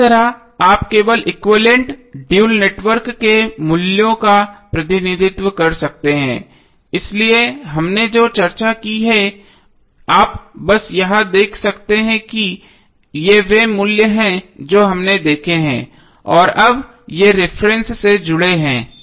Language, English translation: Hindi, So in this way you can simply represent the values of the equivalent, dual network, so what we have discuss you can simply see from here that this are the values which we have seen and now this are connected to the reference node